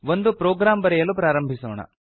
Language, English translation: Kannada, Let us start to write a program